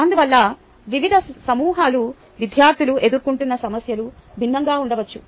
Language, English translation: Telugu, also, therefore, the problems faced by the different groups of students may be different